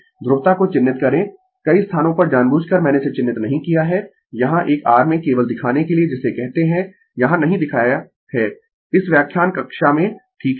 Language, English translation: Hindi, You mark the polarity many places intentionally I have not marked it here just to show you in a your what you call, in this lecture class right plus minus